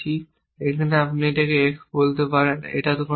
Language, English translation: Bengali, Well I called it x here you could have called it x it does not matter